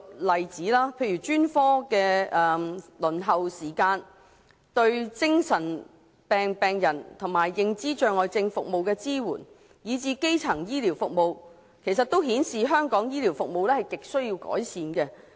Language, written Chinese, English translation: Cantonese, 例如專科輪候時間、對精神病病人和認知障礙症服務的支援，以至基層醫療服務方面，均顯示香港的醫療服務亟需改善。, For example in respect of the waiting time for specialist services the service support for mental and dementia patients as well as primary health care services Hong Kongs health care services are apparently in dire need for improvement